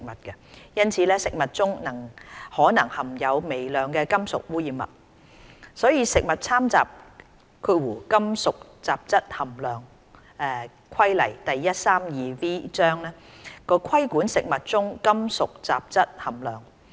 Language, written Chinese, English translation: Cantonese, 因此，食物中可能含有微量的金屬污染物，所以《食物攙雜規例》規管食物中金屬雜質含量。, Food may therefore contain trace amounts of metallic contaminants . For this reason the Food Adulteration Regulations Cap